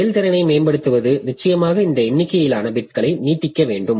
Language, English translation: Tamil, So, improving the performance, improving the scheme, definitely I have to extend this number of bits